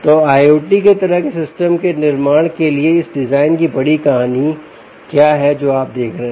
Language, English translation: Hindi, so what is the big story of this design, for i o t kind of a systems building that you are looking at